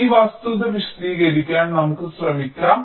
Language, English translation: Malayalam, ok, lets try to just explain this fact